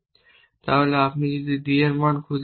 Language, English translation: Bengali, What is the point of looking for new value for d 3